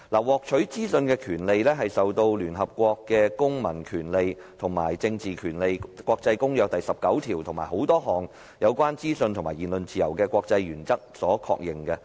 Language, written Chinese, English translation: Cantonese, 獲取資訊的權利受聯合國《公民權利和政治權利國際公約》第十九條及眾多有關資訊及言論自由的國際原則所確認。, The right to information is endorsed by the International Covenant on Civil and Political Rights of the United Nations and numerous international doctrines on freedom of information and freedom of speech